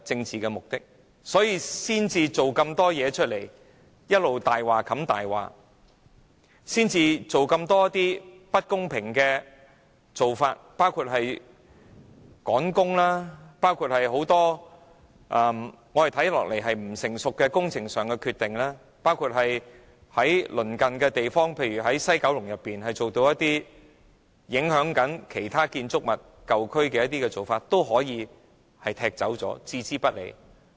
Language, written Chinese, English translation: Cantonese, 所以，政府才一直用謊話掩蓋謊話，採取這麼多不公平的做法，包括趕工、作出很多不成熟的工程上的決定、對於工程對鄰近地方例如西九龍舊區的建築物造成的影響置之不理。, For this reason the Government has long been shielding its lies with lies and taking so many unfair actions including working against the clock making quite a number of immature decisions on project works and adopting an indifferent attitude towards the impacts caused by project works on the buildings in nearby places such as the old districts of West Kowloon